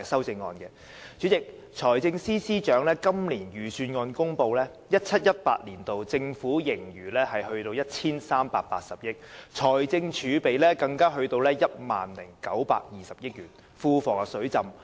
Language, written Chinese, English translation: Cantonese, 代理主席，財政司司長在公布今年的財政預算案時表示 ，2017-2018 年度的政府盈餘高達 1,380 億元，而財政儲備更高達 10,920 億元，庫房"水浸"。, Deputy President when announcing this years Budget the Financial Secretary said that while the surplus was as high as 138 billion in 2017 - 2018 the fiscal reserves also reached 1,092 billion and the public coffers were overflowing with money